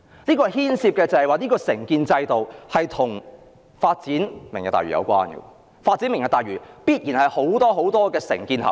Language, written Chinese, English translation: Cantonese, 事件中所牽涉的承建制度，與"明日大嶼"計劃有關，因為發展"明日大嶼"也必然牽涉很多承建合約。, The contracting system involved in the incident is related to the Lantau Tomorrow project because such development project will inevitably involve a lot of contractors contracts